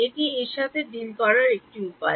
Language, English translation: Bengali, That is one way of dealing with it